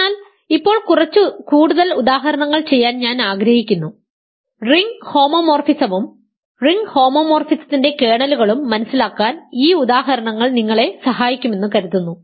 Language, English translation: Malayalam, So, now, I want to do some more examples, these examples also are suppose to help you with understanding ring homomorphism and kernels of ring homomorphism ok